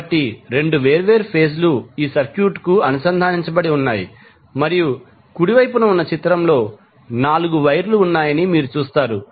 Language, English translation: Telugu, So, 2 different phases are connected to these circuit and in this figure which is on the right, you will see there are 4 wires